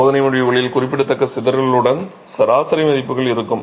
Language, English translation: Tamil, So, you will have average values with significant scatter in the test results